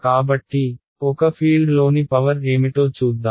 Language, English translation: Telugu, So, let us look at what is the power in a field